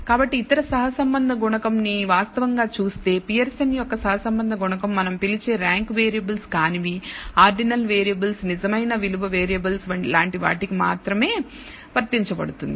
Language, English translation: Telugu, So, let us actually look at other correlation coefficients, you should note that Pearson’s correlation coefficient can be applied only to what we call not ranked variables ordinal variables real value variables like we have here